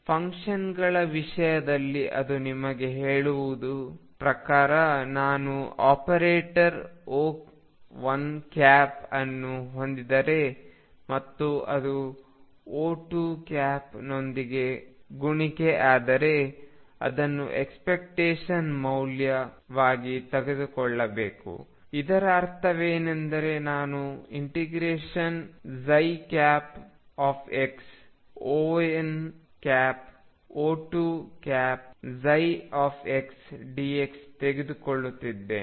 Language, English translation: Kannada, In terms of functions what it tells you is if I have an operator O 1, and it is product with O 2 and take it is expectation value, what that means, is I am taking psi star x O 1 operator O 2 operator psi x dx